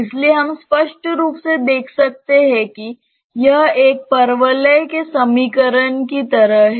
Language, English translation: Hindi, So, we can clearly see that it is a its an equation like of a parabola